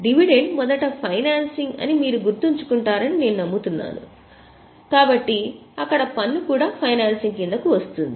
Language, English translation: Telugu, I hope you remember that dividend first of all is financing so tax thereon is also financing